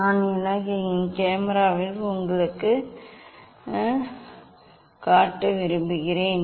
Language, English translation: Tamil, that just I would like to show you in my camera